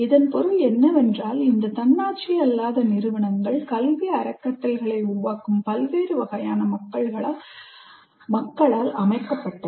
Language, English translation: Tamil, What it means is these non autonomous institutions are set by a large variety of people who create educational trusts